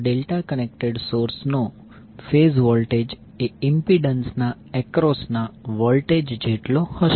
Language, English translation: Gujarati, Than the phase voltage of the delta connected source will be equal to the voltage across the impedance